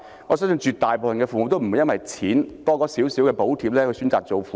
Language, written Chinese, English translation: Cantonese, 我相信絕大部分父母也不會因為增加少許金錢補貼而選擇當父母。, I believe that the majority of parents would not have chosen to be parents just because of a small amount of additional financial subsidy